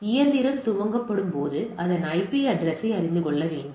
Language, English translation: Tamil, So, when the machine is booted it needs to know its IP address